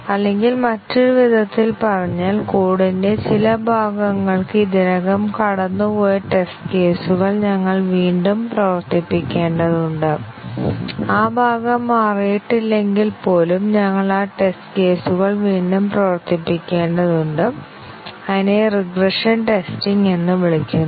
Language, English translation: Malayalam, Or, in other words, we have to rerun the test cases which had already passed for some part of the code and even if that part has not changed, we have to rerun those test cases again and that is called as regression testing